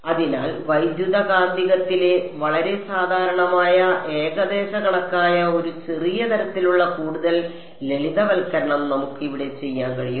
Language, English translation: Malayalam, So, one small sort of further simplification we can do over here which is a very common approximation in electromagnetics